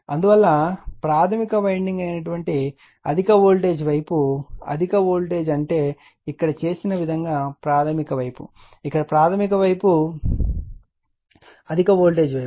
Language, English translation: Telugu, Therefore, in terms of high voltage side that is a primary winding, right, high voltage means here primary side the way we are made it, right here you are primary side is the high voltage side, right